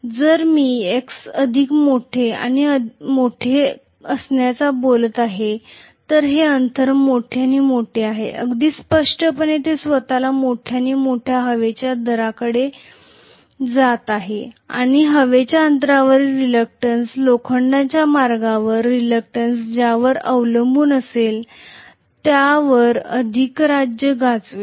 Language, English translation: Marathi, If I am talking about x being larger and larger, the distance is larger and larger, very clearly it is approximating itself to larger and larger air gap and the air gap reluctance will dominate over whatever is the reluctance of the iron path